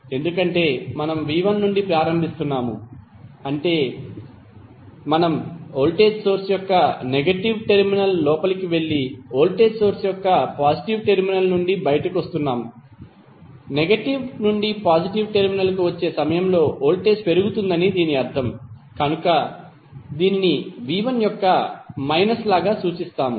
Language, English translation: Telugu, Let us start from v¬1¬ because since we are starting from v¬1¬ that is we are going inside the negative terminal of voltage source and coming out of the positive terminal of voltage source; it means that the voltage is rising up during negative to positive terminal so we represent it like minus of v¬1¬